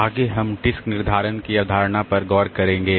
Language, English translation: Hindi, Next we'll be looking into the concept of disk scheduling